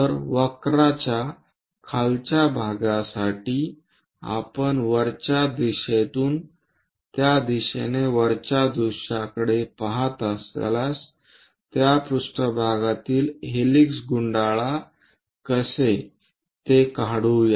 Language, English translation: Marathi, So, let us do that for the bottom part of the curve also, from top view if we are looking from top view in this direction how does that helix wind on that plane let us draw that